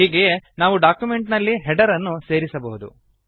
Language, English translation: Kannada, Similarly, we can insert a header into the document